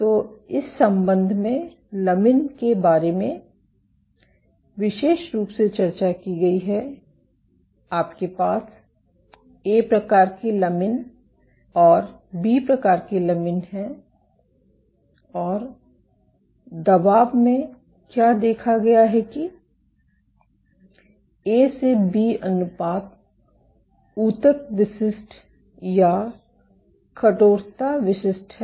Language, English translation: Hindi, So, in this regard a specifically discussed about lamins, you have A type lamins and B type lamins and what has been observed in the pressure is that A to B ratio is tissue specific or tissue stiffness specific